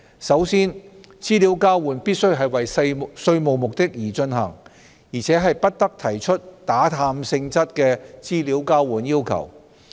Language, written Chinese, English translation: Cantonese, 首先，資料交換必須為稅務目的而進行，而且不得提出打探性質的資料交換要求。, Firstly the exchange of information must be conducted for tax purposes and prevent fishing expedition by partners